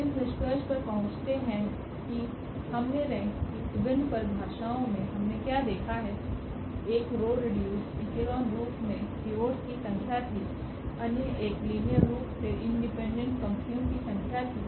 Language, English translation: Hindi, Coming to the conclusion what we have seen the various definitions of the rank, one was the number of pivots in the in the row reduced echelon form, the other one was the number of linearly independent rows